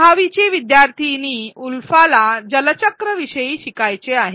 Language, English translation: Marathi, 6th standard student Ulfa, wanted to learn about the water cycle